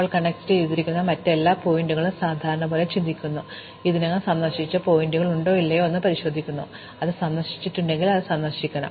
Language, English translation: Malayalam, And now for every other vertex that it is connected to we do the usual think, we check whether or not that vertex is already visited; if it is not visited, we want visit it